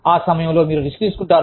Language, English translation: Telugu, At that point, you will take risks